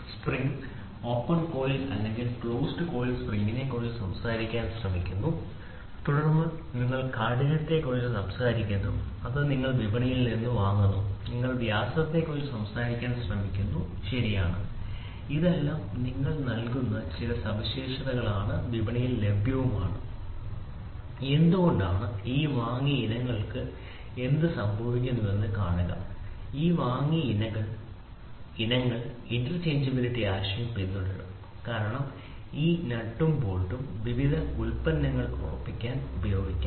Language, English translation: Malayalam, So, spring you try to talk about opened open coiled or close coiled spring and then you talk about the stiffness that is it you buy it from the market, you try to talk about diameter, right, these are all some specification you give this is available in the market why see what happens to all these bought out items these bought out items will follow a concept of interchangeability because these this nut and bolt can be used for fastening of various products